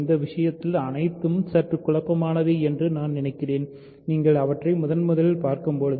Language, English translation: Tamil, So, all these things are a bit confusing I think and when you are seeing them for the first time especially